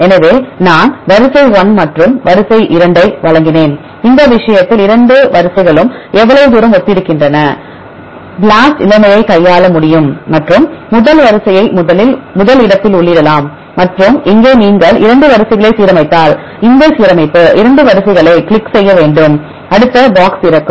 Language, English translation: Tamil, So, I gave sequence number one, right and the sequence number 2 and how far these 2 sequences are similar in this case, BLAST can do handle the situation and enter the first sequence right in the first in the first place and here you have to click on this align 2 sequences if you align 2 sequences, then the next box will open